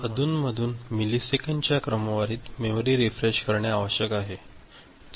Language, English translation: Marathi, So, periodically, of the order of millisecond, it need to be refreshed